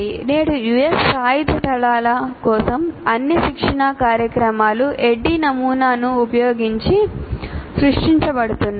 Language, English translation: Telugu, Today all the US Armed Forces, all training programs for them continue to be created using the ADI model